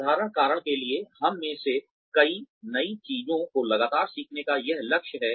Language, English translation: Hindi, For the simple reason that, many of us have, this goal of constantly learning new things